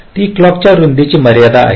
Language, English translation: Marathi, that is the clock width constraint